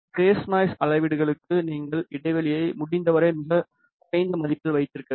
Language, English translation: Tamil, For phase noise measurements you have to keep the span to the lowest value possible